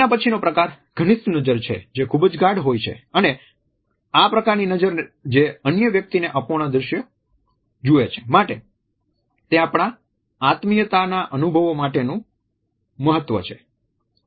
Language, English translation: Gujarati, The intimate gaze is intimate and this type of a gaze which takes the other person incomplete visual is crucial to our experiences of intimacy